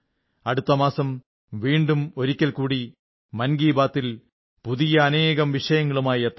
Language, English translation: Malayalam, We will meet in another episode of 'Mann Ki Baat' next month with many new topics